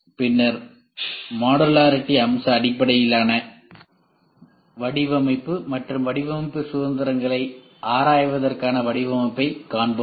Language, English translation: Tamil, Then we will see design for modularity, feature based design and exploring design freedoms